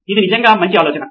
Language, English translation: Telugu, That is a really cool idea